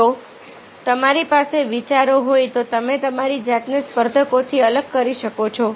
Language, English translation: Gujarati, if you have the ideas, you can separate yourself on the competitors